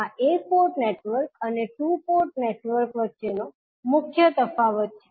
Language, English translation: Gujarati, So, this is the major difference between one port network and two port network